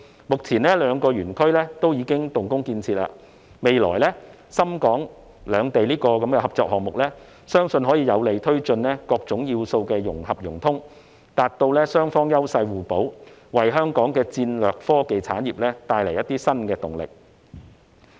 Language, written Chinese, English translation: Cantonese, 目前，這兩個園區已經動工建設，未來深港兩地的合作項目，相信可以有利推進各種要素的融合融通，達致雙方優勢互補，為香港的戰略科技產業帶來一些新動力。, At present the construction of these two zones has already commenced . It is believed that in the future the collaborative projects between Shenzhen and Hong Kong will be able to facilitate the integration of various elements to achieve mutual complementarity and bring some new impetus to Hong Kongs strategic technology industry